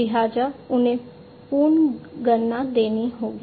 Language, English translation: Hindi, So, they will have to be recalibrated